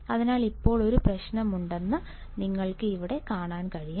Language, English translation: Malayalam, So, now if I have a problem, which you can see here